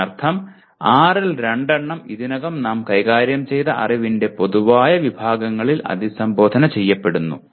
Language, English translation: Malayalam, That means two of the six are already addressed by general categories of knowledge that we have already dealt with